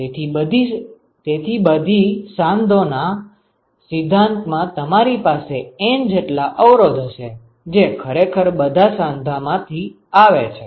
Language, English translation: Gujarati, So, in principle from every node you will have N resistances which are actually coming out of every node